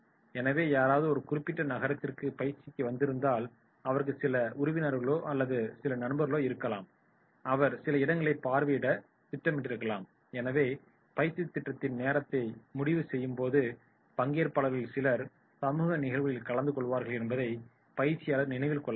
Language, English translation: Tamil, So if somebody has come to a particular city he may have certain relatives, he may have certain friends, he might be planning to visit certain places so in scheduling the training program this is to be kept in mind that they are attending the social engagements